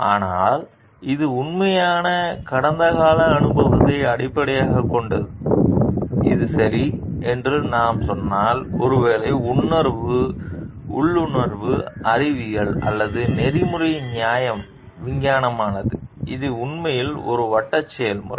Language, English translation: Tamil, So, but this is based on actually past experience, if we tell like this is right and maybe intuition is not scientific ethical justification is scientific it is actually a circular process